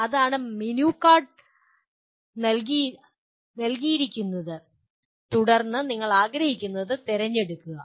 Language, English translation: Malayalam, That is a menu card is given and then you pick what you want